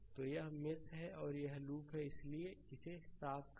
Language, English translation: Hindi, So, this is mesh and this is loop right so, just let me clear it